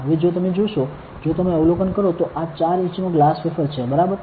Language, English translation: Gujarati, Now, if you see if you observe, this is a 4 inch glass wafer, ok